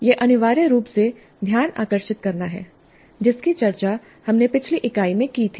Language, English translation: Hindi, This is essentially the gain attention that we discussed in the earlier unit